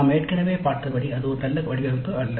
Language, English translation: Tamil, We already have seen that that is not a good design